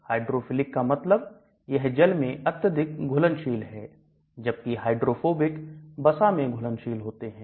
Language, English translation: Hindi, Hydrophilic means it is highly water soluble as against hydrophobic which is lipid soluble